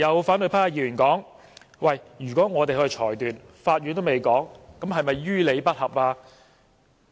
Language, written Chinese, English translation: Cantonese, 反對派的議員剛才說，如果我們較法院更早作出裁決，是否於理不合？, Members of the opposition camp have just queried whether it would be unreasonable of us to make a judgment before the Court does so